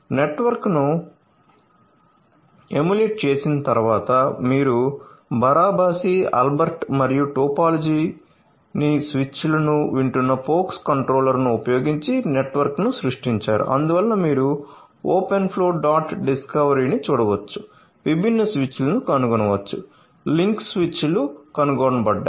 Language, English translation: Telugu, So, after emulating the network so, you have created the network using Barabasi Albert topology and the pox controller listening to the switches that is why you can see that open flow dot discovery, discover different switches the link detected the switches detected